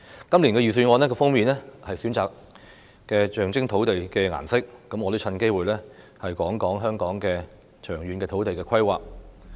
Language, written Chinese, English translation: Cantonese, 今年預算案的封面選用了象徵土地的顏色，我也藉此機會談論香港的長遠土地規劃。, A colour symbolizing earth has been selected for the cover of this years Budget . I also wish to take this opportunity to talk about the long - term land use planning in Hong Kong